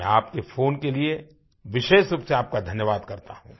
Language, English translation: Hindi, I specially thank you for your phone call